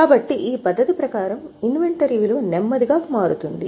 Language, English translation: Telugu, So, under this method, the value of inventory slowly changes